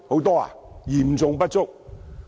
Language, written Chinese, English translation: Cantonese, 是嚴重不足的。, These are all seriously inadequate